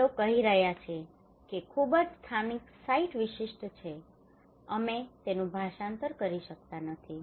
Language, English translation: Gujarati, They are saying that is very localised site specific we cannot translate that one